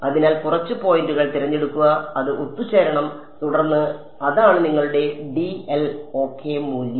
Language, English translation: Malayalam, So, pick a few points and it should converge and then that is your value of dl ok